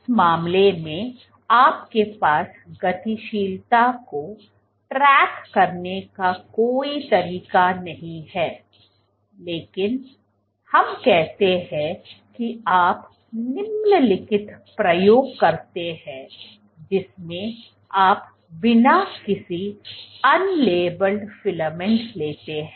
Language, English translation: Hindi, So, in that case you are in no way to track the dynamics, but let us say you do the following experiment in which you take unlabelled filaments